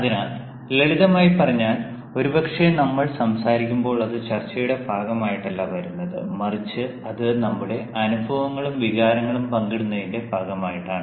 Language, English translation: Malayalam, so, in simple terms, when we talk, maybe it is not a part of the discussion, but it is a part of the sharing of our experiences and feelings